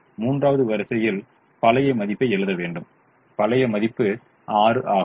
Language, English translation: Tamil, now we have to write the third row, the old value